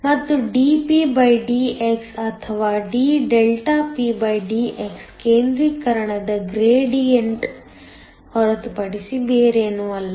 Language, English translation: Kannada, And, dpdx or d∆pdx is nothing but a concentration gradient